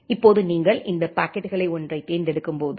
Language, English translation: Tamil, Now whenever you are selecting one of these packets